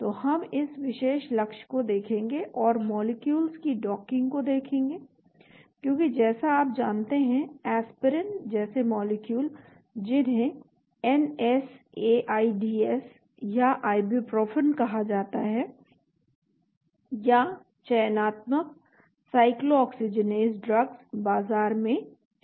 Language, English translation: Hindi, So we will look at this particular target and we will look at docking of molecules as you know molecules like Aspirin which is called NSAIDS or Ibuprofen or there are selective Cyclooxygenase drugs are there in the market